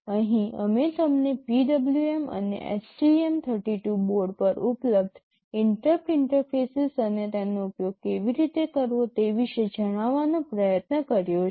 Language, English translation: Gujarati, Here, we have tried to tell you about the PWM and the interrupt interfaces that are available on the STM 32 board and how to use them